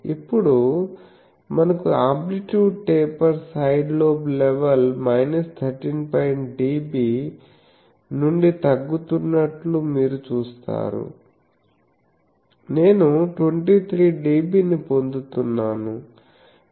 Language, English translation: Telugu, Now, it is being proved you see that in since we have a amplitude taper side lobe level is coming down from minus 13 dB, I am getting 23 dB